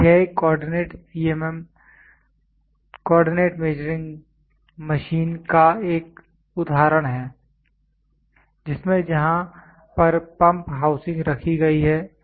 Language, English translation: Hindi, This is an example of a coordinate CMM where in which there is pump housing kept there